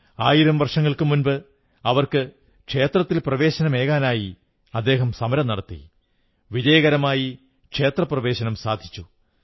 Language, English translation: Malayalam, A thousand years ago, he launched an agitation allowing their entry into temples and succeeded in facilitating the same